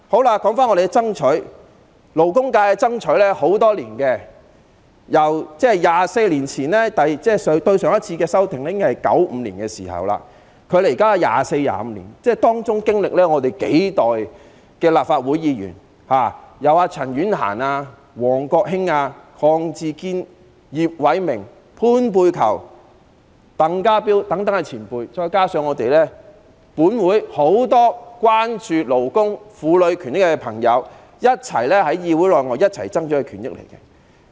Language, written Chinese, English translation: Cantonese, 勞工界多年來爭取延長產假，《僱傭條例》上次的修訂是在1995年，距今已經24、25年，當中經歷數代立法會議員，由陳婉嫻、王國興、鄺志堅、葉偉明、潘佩璆、鄧家彪等前輩，再加上本會很多關注勞工、婦女權益的朋友，在議會內外一起爭取權益。, The labour sector has been fighting for the extension of maternity leave for many years . The Employment Ordinance was last amended in 1995 which was 24 or 25 years ago . During this period of time Legislative Council Members of a few generations like our predecessors Ms CHAN Yuen - han Mr WONG Kwok - hing Mr KWONG Chi - kin Mr IP Wai - ming Dr PAN Pey - chyou and Mr TANG Ka - piu as well as many Members in this Council who are concerned with the rights and interests of labour and women have been fighting for their rights and interests inside and outside this Council